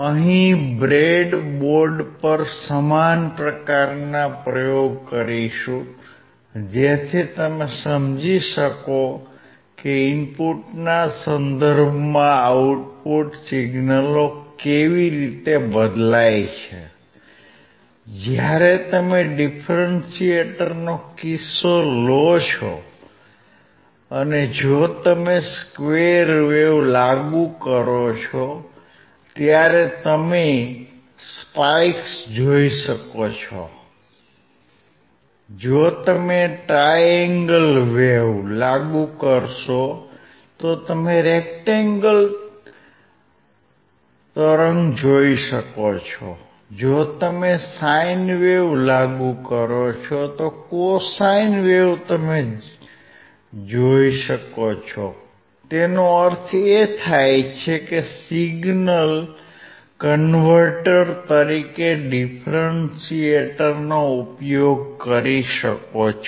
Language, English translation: Gujarati, We will do similar kind of experiment on the breadboard so that you can understand how the output signals will vary with respect to input; when you take the case of a differentiator when you apply square wave you will be able to see spikes; if you will apply triangular wave you can see rectangular wave; if you apply sine wave you can see cosine wave; that means, that you can use the differentiator as a signal converter